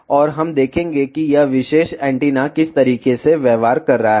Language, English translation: Hindi, And we will see in what manner this particular antenna is behaving